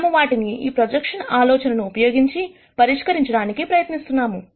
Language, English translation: Telugu, We are going to try and determine these 2 using this idea of projection